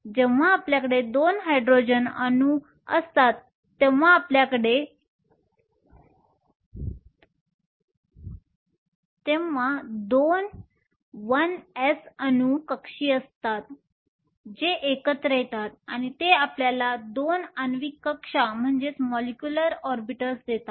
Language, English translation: Marathi, When we have two Hydrogen atoms you have 2 1 s atomic orbitals that come together these interact and give you two molecular orbitals